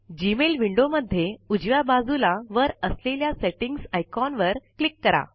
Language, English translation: Marathi, Click on the Settings icon on the top right of the Gmail window